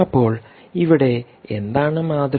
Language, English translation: Malayalam, so what is the paradigm here